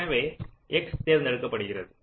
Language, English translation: Tamil, so x is selected